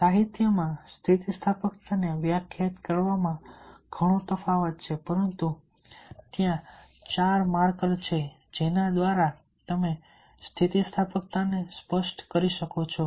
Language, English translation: Gujarati, and there is a lot of differences in defining resilience in the literature, but there are four markers through which one can specify the resilience